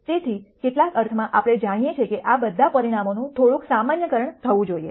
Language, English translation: Gujarati, So, in some sense we understand that there should be some generalization of all of these results